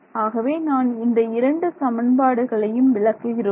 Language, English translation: Tamil, Now let us look at these two equations so this equation 3 and equation 4